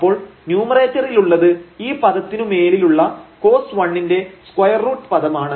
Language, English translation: Malayalam, So, we will get in the numerator this is square root term with this cos 1 over this term